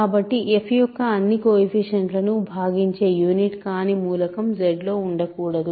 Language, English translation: Telugu, So, there cannot be any non unit in Z that divides all the coefficients of f